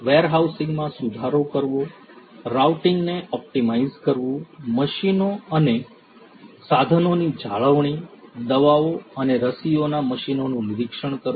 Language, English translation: Gujarati, Improving warehousing, Optimizing routing, Maintenance of machines and equipment, Inspecting the machines of medicines and vaccines